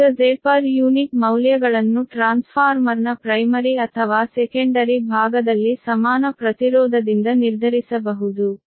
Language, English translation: Kannada, now, z per unity values can be determined from the equivalent impedance on primary or secondary side of a transformer